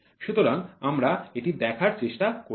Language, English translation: Bengali, So, we are trying to see this